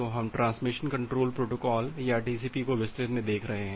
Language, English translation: Hindi, So, we are looking into the details of Transmission Control Protocol or TCP